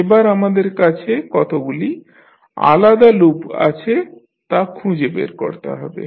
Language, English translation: Bengali, Now, next is we need to find out how many individual loops we have